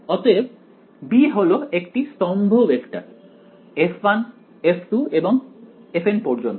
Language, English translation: Bengali, So, b is a column vector with f 1 f 2 all the way up to f n right